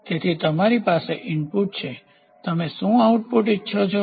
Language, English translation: Gujarati, So, you have input, you want you decide; what is the output you want